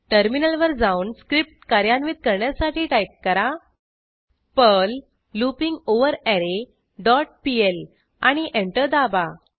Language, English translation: Marathi, Then switch to the terminal and execute the script as perl loopingOverArray dot pl and press Enter